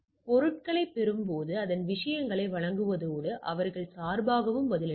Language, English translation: Tamil, So, on receiving the things it delivers the things and reply back and on their behalf